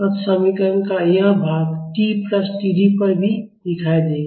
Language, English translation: Hindi, So, this part of the equation will be seen at t plus T D also